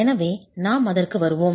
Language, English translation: Tamil, So we will come to that